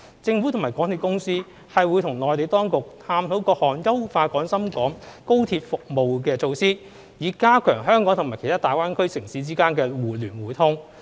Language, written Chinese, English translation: Cantonese, 政府及港鐵公司會與內地當局探討各項優化廣深港高鐵服務的措施，以加強香港與其他大灣區城市間的互聯互通。, The Government and MTRCL will explore with the relevant Mainland authorities different measures to enhance the XRL services with a view to strengthening the connectivity between Hong Kong and other cities in GBA